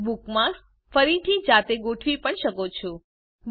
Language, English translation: Gujarati, You can also rearrange the bookmarks manually